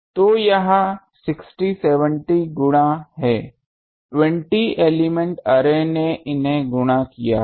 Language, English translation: Hindi, So, it is 60 70 times the 20 element array has multiplied these